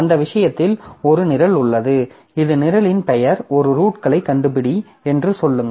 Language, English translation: Tamil, So, in that case I have a program which is finding, say, suppose name of the program is say find roots